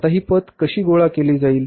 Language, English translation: Marathi, Now how this credit is going to be collected